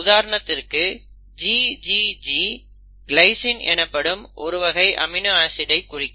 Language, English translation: Tamil, For example you will have say GGG, can code for an amino acid